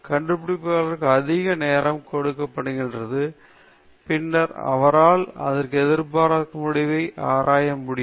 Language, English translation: Tamil, If the discoverer was given more time, and then, he or she should, could investigate this unexpected result